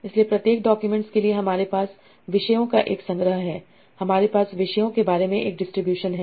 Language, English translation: Hindi, So for each document I have a collection of top, I have a distribution over topics